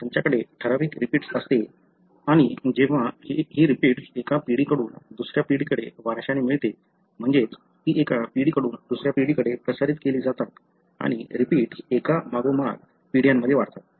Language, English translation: Marathi, You have certain repeat and these repeats when inherited from one generation to the other, that is they are transmitted from one generation to the other, and the repeats expands in successive generations